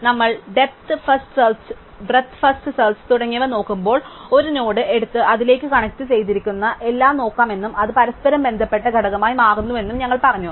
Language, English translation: Malayalam, Remember, that when we did breadth first and depth first search, we said that we can take a node and look at everything connected to it and it forms a connected component